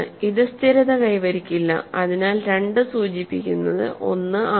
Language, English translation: Malayalam, So, this does not stabilize so 2 implies 1